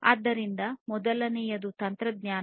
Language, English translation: Kannada, So, the first one is the technology